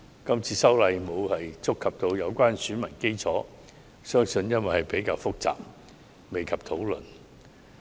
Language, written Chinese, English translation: Cantonese, 這次修例沒有觸及有關選民基礎，相信是因為這事項較為複雜，未及討論。, The issue of electorate has not been touched on in this amendment exercise probably because it is a bit complicated